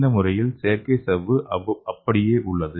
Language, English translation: Tamil, So here the cells are protected in the artificial membrane okay